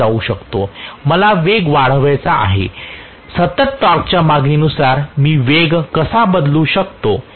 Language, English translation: Marathi, I want to change the speed, how do I change the speed at a constant torque demand